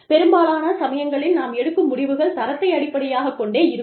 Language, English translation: Tamil, A lot of times, our judgements are based on, qualitative aspect